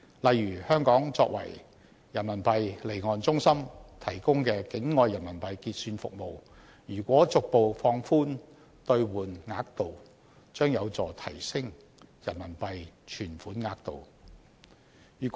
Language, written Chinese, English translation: Cantonese, 例如香港作為人民幣離岸中心提供的境外人民幣結算服務，如果逐步放寬兌換額度，將有助提升人民幣存款額度。, For example Hong Kong is providing off - shore Renminbi settlement services as an offshore Renminbi centre . If the conversion limit is gradually relaxed it will help in increasing the amount of Renminbi deposits